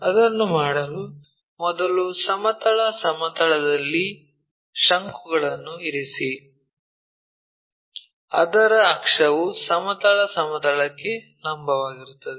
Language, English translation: Kannada, To do that first of all make a cone resting on horizontal plane, so that it axis is perpendicular to horizontal plane